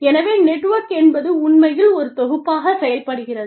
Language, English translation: Tamil, So, the network actually, acts as a unit